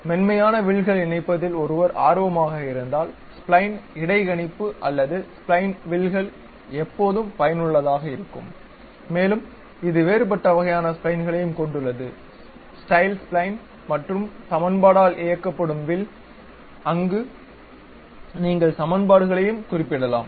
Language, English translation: Tamil, If one is interested in connecting smooth curves, then spline interpolation or spline curves are always be useful and it has different kind of splines also, style spline, equation driven curve where you can specify the equations also